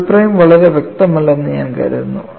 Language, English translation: Malayalam, I think the double prime is not very clear